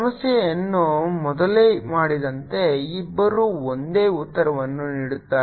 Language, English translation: Kannada, as the previous problems was done, both give you the same answer